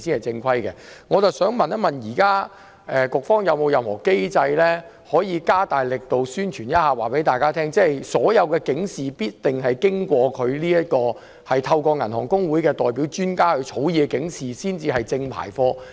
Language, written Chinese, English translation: Cantonese, 請問局方現時有沒有任何機制，可以加大力度宣傳並告知公眾，透過香港銀行公會發放的由銀行代表專家草擬的警示才是正規的警示？, May I ask the authorities whether there are any mechanisms to step up publicity and tell the public that only alerts drafted by the experts of the bank representatives and issued through HKAB are proper alerts?